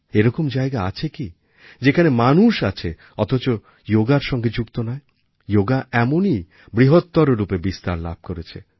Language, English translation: Bengali, There must hardly be a place where a human being exists without a bond with Yoga; Yoga has assumed such an iconic form